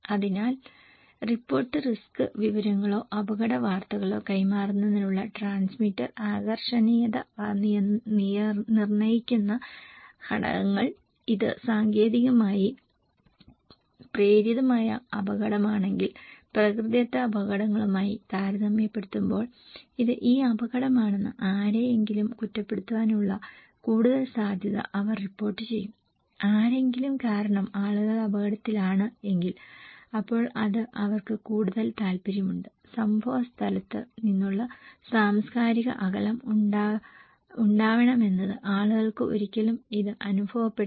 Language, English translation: Malayalam, So, factors that determine transmitter attractiveness to pass report risk informations or risk news is, if it is technologically induced hazard then compared to natural hazards they will report more possibility to blame someone that it is this risk, people are at risk because of someone then they are more interested, cultural distance from the place of occurrence people never experience this one